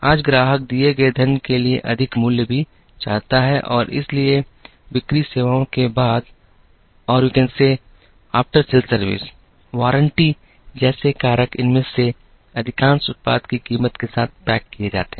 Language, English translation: Hindi, Today, the customer also wants more value for the money given and therefore, factors such as qualities, warranties, after sale services, most of these are packaged along with the price of the product